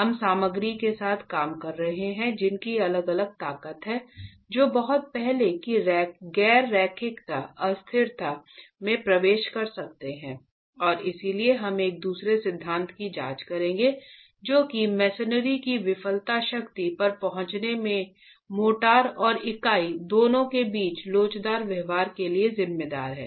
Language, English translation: Hindi, We are dealing with materials which have different strengths and can enter non linearity and elasticity quite early and therefore we will examine a second theory which accounts for the inelastic behavior of both the motor and the unit in arriving at the failure strength of the Mason rate cell